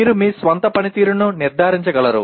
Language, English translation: Telugu, You are able to judge your own performance